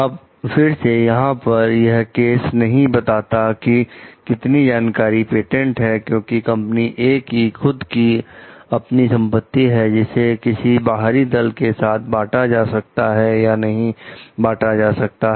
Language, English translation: Hindi, Now, again the case here does not mention like how much was it like, sort of knowledge which is patented, which is very like, it is the company A s own type of property which can or cannot be shared with the outside party